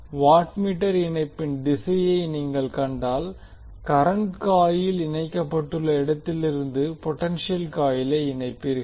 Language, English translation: Tamil, So if you see the direction of the watt meter connection, you will connect potential coil from where the current coil is connected